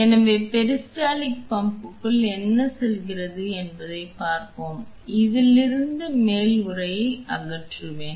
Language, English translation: Tamil, So, let us see what goes into the peristaltic pump I will remove the top casing from this